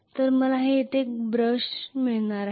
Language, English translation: Marathi, So I am going to connect one brush here